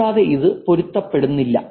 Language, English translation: Malayalam, And it is also unmatching